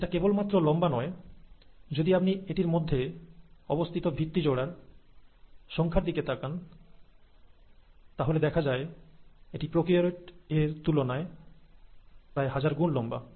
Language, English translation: Bengali, And not just long, if you look at the number of base pairs it has, it's about thousand fold bigger than the prokaryotes